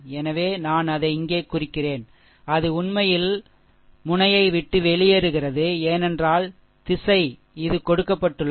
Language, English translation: Tamil, So, I mark it here that is actually leaving the node, because direction is this way it is given, right is equal to 2